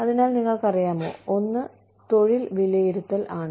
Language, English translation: Malayalam, So, you know, one is job evaluation